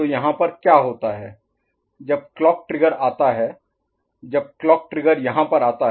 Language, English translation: Hindi, So, then what happens at this point when the clock trigger comes, when the clock trigger comes at this point